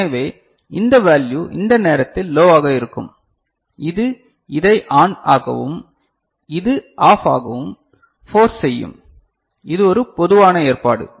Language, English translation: Tamil, So, this value will be low at that time ok which will force this one to be ON and this one to be OFF so, this is one typical arrangement